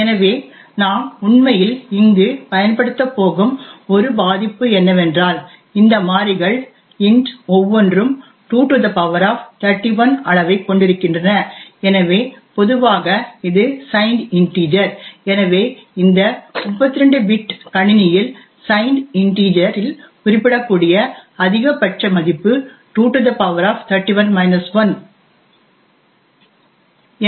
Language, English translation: Tamil, So the one vulnerability that we are actually going to exploit here is that each of these variables int has a size of 2^31, so typically this is a signed integer so the maximum value that can be represented in the signed integer on this 32 bit machine is 2^31 minus 1